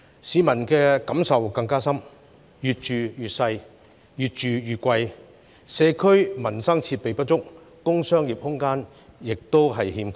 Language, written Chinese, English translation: Cantonese, 市民的感受更深，因為"越住越細、越住越貴"，社區民生設備不足，工商業空間亦短缺。, Members of the public are much aggrieved as their homes are getting tinier and pricier . Not only is there a lack of community and livelihood facilities there is also insufficient commercial and industrial space